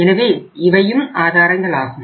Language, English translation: Tamil, So these are the sources